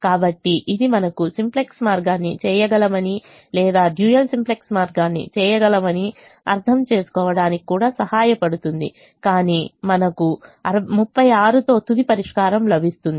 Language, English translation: Telugu, so this also help us understand that we could do either the simplex way or we could do the dual simplex way, but we will get the final solution with thirty six because there is alternate optimum we have